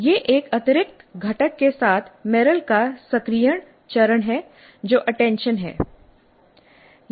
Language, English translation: Hindi, This is activation phase of Merrill with an additional component which is attention